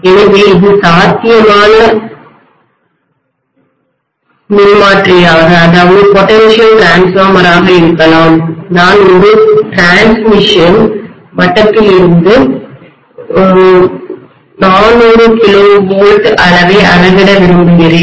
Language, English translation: Tamil, So this can be potential transformer, I may like to measure 400 kilovolts quantity from a transmission level